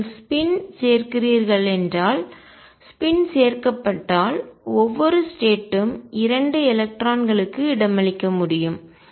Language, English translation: Tamil, If you include spin if include spin then every state can accommodate 2 electrons